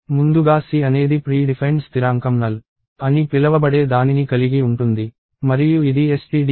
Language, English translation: Telugu, So, first of all C gives something called a predefined constant called null and this is defined in stdio dot h <stdio